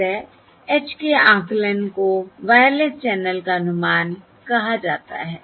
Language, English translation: Hindi, So estimation of h is termed as estimation of h is termed as Wireless Channel estimation